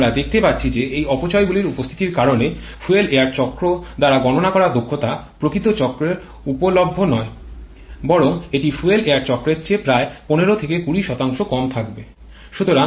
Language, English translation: Bengali, And we can see that because of the presence of these losses the efficiency predicted by fuel air cycle is not available in actual cycle rather that will be about 15 to 20% lower than the fuel air cycle